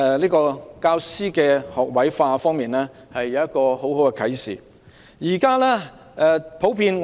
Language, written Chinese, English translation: Cantonese, 在教師學位化方面，我們從中深有體會。, Regarding the all - graduate teaching force policy we have strong feelings about it